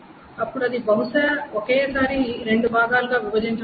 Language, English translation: Telugu, So it is just broken up into two parts